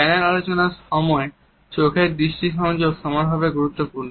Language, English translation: Bengali, Eye contact is equally important during the panel discussions also